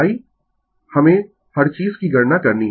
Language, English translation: Hindi, I everything we have to compute